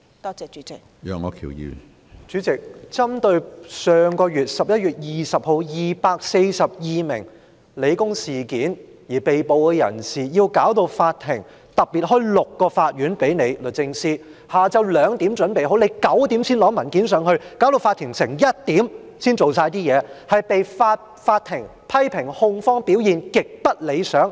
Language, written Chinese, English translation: Cantonese, 主席，就11月20日香港理工大學事件，有242名被捕人士，法庭特別為此開了6個法院，下午2時已準備好，但律政司在晚上9時才提交文件，導致法庭在凌晨1時才完成工作，控方被法庭批評表現極不理想。, President in respect of the 242 people arrested in the incident on 20 November at the Hong Kong Polytechnic University hearings were particularly held in six courts . While the courts were ready at 2col00 pm DoJ had not submitted the documents until 9col00 pm . As a result the Court had not finished its work until 1 oclock in the early hours and the prosecution was criticized by the Court for its highly unsatisfactory performance